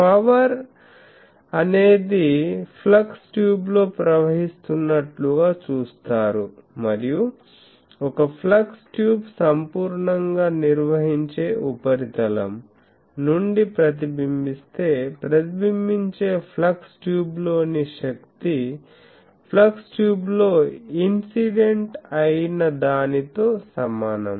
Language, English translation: Telugu, The power is viewed as flowing in flux tube and if a flux tube is reflected from a perfectly conducting surface, the power in the reflected flux tube equals that in the incident flux tube